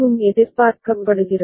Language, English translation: Tamil, And this is what is expected also